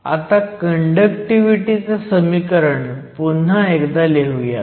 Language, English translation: Marathi, So, we start with the equation for conductivity